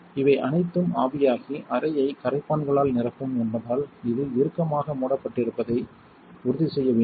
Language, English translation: Tamil, You want to make sure this is closed tightly because all of these will evaporate out and fill the room with solvents and that is not good for your health